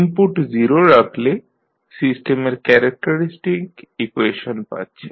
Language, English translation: Bengali, When you put the input as 0, so you got the the characteristic equation of the system